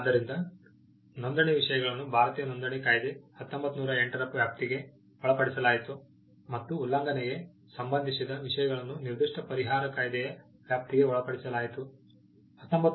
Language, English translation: Kannada, So, registration matters of registration was covered by the Indian Registration Act, 1908, and matters pertaining to infringement was covered by the specific relief act